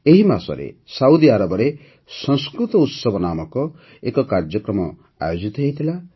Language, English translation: Odia, This month, an event named 'Sanskrit Utsav' was held in Saudi Arabia